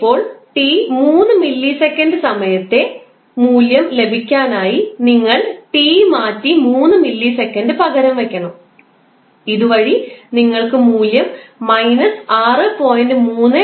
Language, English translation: Malayalam, Now, for time is equal to 3 millisecond you simply have to replace t with 3 millisecond and simplify the expression you will get the value 6